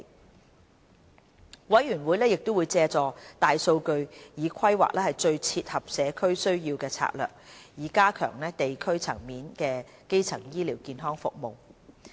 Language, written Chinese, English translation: Cantonese, 督導委員會亦會借助大數據規劃最切合社區需要的策略，以加強地區層面的基層醫療健康服務。, The Steering Committee will also exploit the use of big data to devise strategies which best fit the needs of the community with a view to enhancing primary health care services at the district level